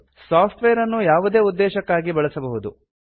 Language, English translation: Kannada, Use the software for any purpose